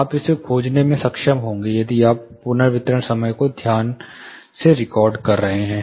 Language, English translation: Hindi, You will be able to find it if you are recording the reverberation time carefully